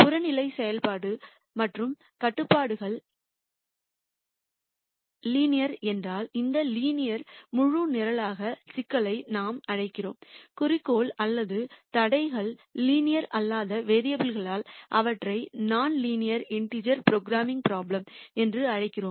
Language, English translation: Tamil, And if the objective function and constraints are linear then we call this linear integer programming problem, if either the objective or the constraints become non linear we call them non linear integer programming prob lems